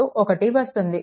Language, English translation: Telugu, 5 v 2 is equal to 1